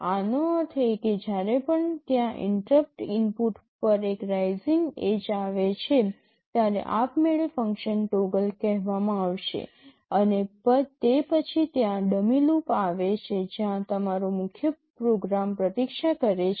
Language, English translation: Gujarati, This means whenever there is a rising edge on that interrupt input automatically the function toggle will get called, and after that there is a dummy loop where your main program is waiting